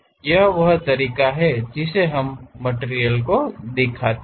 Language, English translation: Hindi, This is the way we represent materials